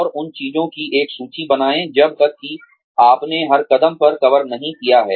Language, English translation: Hindi, And, make a list of those things, till you have covered, every step